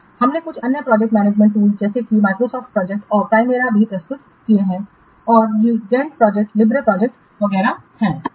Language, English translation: Hindi, We have also presented some other project management tools such as Microsoft project and Prembara and this Gant project, Lyft project, etc